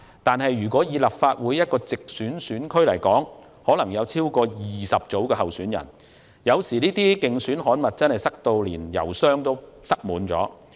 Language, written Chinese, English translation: Cantonese, 但是，立法會一個直選選區可能有超過20組候選人，這些競選刊物有時真的會塞滿郵箱。, However there may be more than 20 groups of candidates in a geographical constituency of the Legislative Council so mailboxes may really stuff with printed election materials